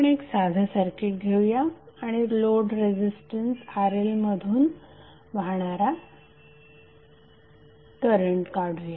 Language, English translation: Marathi, Let us take one simple circuit and we will try to find out the value of current flowing through the load Resistance RL